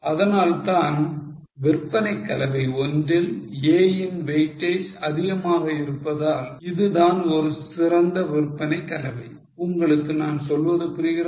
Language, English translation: Tamil, That is why in sales mix 1, since the weightage of A was higher, that was a better sales mix